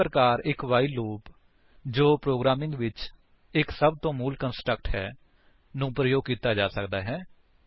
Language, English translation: Punjabi, This way a while loop which is one of the most fundamental constructs in programming can be used